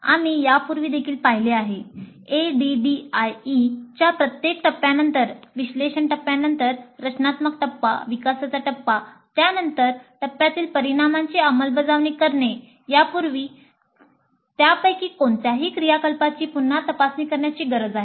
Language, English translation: Marathi, As we saw earlier also, after every phase of the ADD, after analysis phase, design phase, develop phase, implement phase, the outputs of that particular phase are always pre reviewed to see if we need to revisit any of those activities